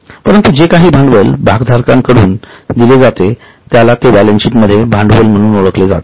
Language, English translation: Marathi, So, money which is put in by the shareholders is known as share capital